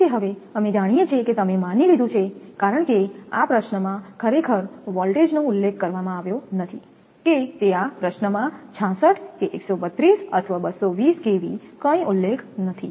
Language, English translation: Gujarati, So, now, we know that that you assume because in this problem in this problem actually voltage is not mentioned whether it is 66 or 132 or 220 kV nothing is mentioned in this problem